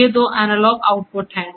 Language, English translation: Hindi, These are the two analog outputs